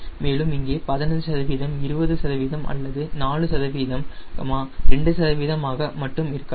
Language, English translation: Tamil, is it fifteen percent, twenty percent, or is in only four percent, two percent